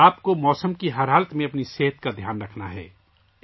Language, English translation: Urdu, You have to take care of your health in every weather condition